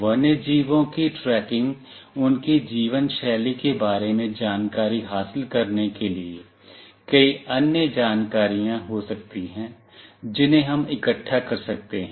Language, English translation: Hindi, Tracking wildlife to gain information about their lifestyle, there could be many other information we can gather